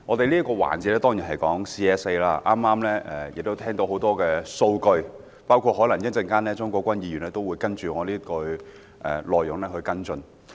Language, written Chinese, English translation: Cantonese, 本環節討論的是 CSA， 我們聽到許多數據，而稍後鍾國斌議員也會就我的發言內容作出跟進。, This session is for the discussion on the Committee stage amendments CSAs during which we have heard a lot of data and Mr CHUNG Kwok - pan will follow up on my speech later on